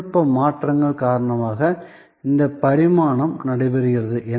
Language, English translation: Tamil, So, this evolution that is taking place is taking place due to technology changes